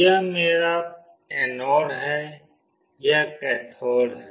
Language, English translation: Hindi, This is my anode, this is cathode